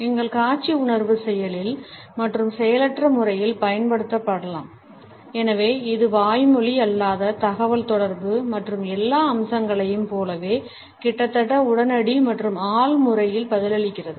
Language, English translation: Tamil, Our visual sense can be used in an active as well as in a passive manner and therefore, it responses in almost an immediate and subconscious manner like all the other aspects of non verbal communication